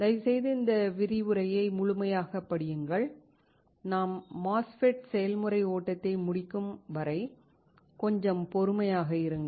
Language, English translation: Tamil, Please read this lecture thoroughly and until we finish the MOSFET process flow, have some patience